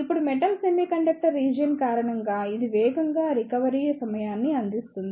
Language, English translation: Telugu, Now, due to the metal semiconductor region, it provides relatively fast recovery time